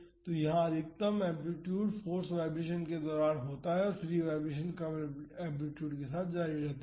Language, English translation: Hindi, So, here the maximum amplitude is during the forced vibration and the free vibration continues with the reduced amplitude